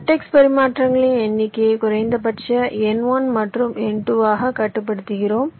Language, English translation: Tamil, we are limiting the number of vertex exchanges to the minimum of n one and n two